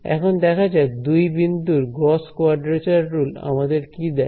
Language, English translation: Bengali, Let us see what a 2 point Gauss quadrature rule gives us